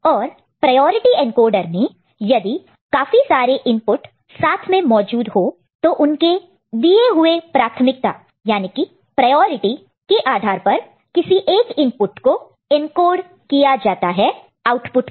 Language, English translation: Hindi, And in priority encoder, if number of inputs are active simultaneously, then according to the priority assigned, one of the input gets encoded to the output